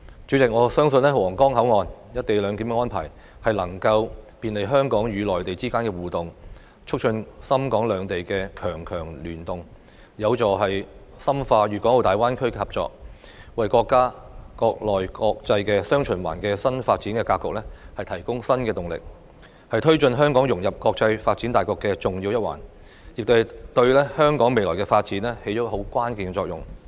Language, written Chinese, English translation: Cantonese, 主席，我相信皇崗口岸"一地兩檢"安排能夠便利香港與內地之間的互動，促進深港兩地強強聯動，有助深化粵港澳大灣區的合作，為國家"國內國際雙循環"的新發展格局提供新動力，是推動香港融入國際發展大局的重要一環，亦對香港未來發展起着關鍵作用。, President I believe that the co - location arrangement at the Huanggang Port will facilitate interaction between Hong Kong and the Mainland as well as promote cooperation between Shenzhen and Hong Kong to leverage the strengths of both cities which will help deepen cooperation in the Guangdong - Hong Kong - Macao Greater Bay Area and give new impetus to the nations new development pattern of domestic and international dual circulation . It plays an important part in advancing the integration of Hong Kong into the international development and takes a key role in the future development of Hong Kong